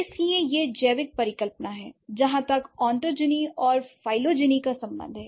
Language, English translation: Hindi, So, that is the biological hypothesis as far as ontogeny and phylogeny is concerned